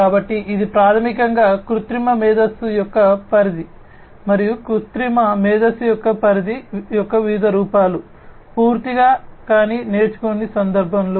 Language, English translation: Telugu, So, this is basically the scope of artificial intelligence and the different forms of not the scope of artificial intelligence, entirely, but in the context of learning